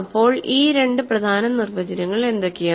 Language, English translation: Malayalam, So, what are these two important definitions